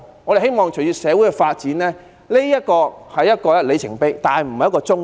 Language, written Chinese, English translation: Cantonese, 我們希望隨着社會發展，這只是一個里程碑，而不是終點。, We hope that with the development of society this only marks a milestone but not the destination